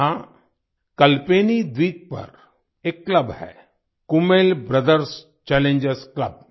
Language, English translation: Hindi, There is a club on Kalpeni Island Kummel Brothers Challengers Club